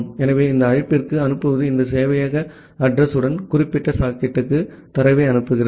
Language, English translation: Tamil, So, this send to call is sending the data to the particular socket with this server address which we are specifying here